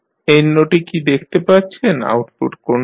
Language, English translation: Bengali, You can see what is the output at this note